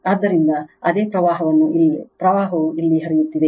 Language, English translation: Kannada, So, same current is flowing here